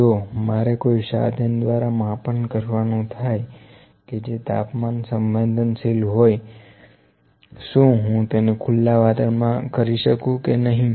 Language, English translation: Gujarati, If I have to do some measurements using an instrument which is temperature sensitive can I do it in the open environment or not